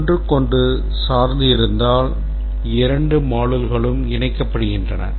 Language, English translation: Tamil, Two modules are coupled if they dependent on each other